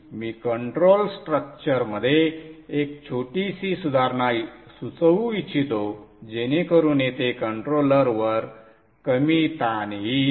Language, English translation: Marathi, I would like to suggest a small improvement in the control structure so that there is less strain on the controller here